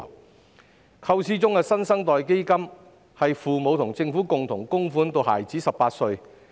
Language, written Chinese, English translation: Cantonese, 根據構思中的"新生代基金"，父母和政府會共同供款至孩子18歲。, Under the proposed New Generation Fund parents and the Government will make contributions jointly until the child reaches the age of 18